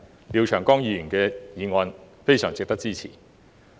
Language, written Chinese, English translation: Cantonese, 因此，廖長江議員的議案非常值得支持。, Therefore Mr Martin LIAOs motion deserves our earnest support